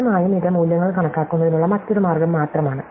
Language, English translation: Malayalam, And obviously, this is only a different way of enumerating the values